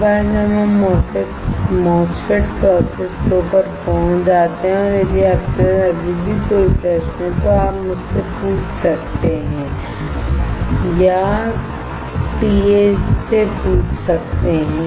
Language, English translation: Hindi, Once we reach MOSFET process flow and if you still have any question, you can ask me or ask the TA